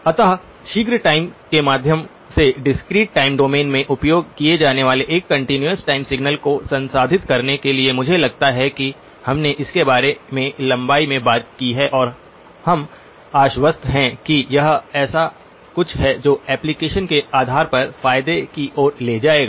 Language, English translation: Hindi, So by way of a quick the motivation for processing a continuous time signal used in the discrete time domain I think we have spoken about it at length and we are convinced that it is something that will lead to advantages depending upon the application